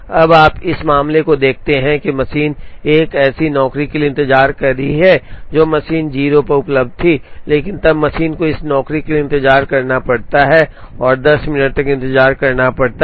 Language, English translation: Hindi, Now, you look at this case machine is waiting for a job the machine was available at 0, but then the machine has to wait for this job it has to wait for 10 minutes